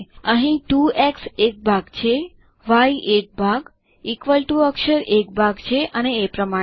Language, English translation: Gujarati, Here, 2x is a part, y is a part, equal to character is a part and so on